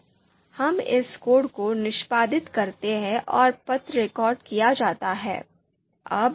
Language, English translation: Hindi, So let us execute this code and the path is recorded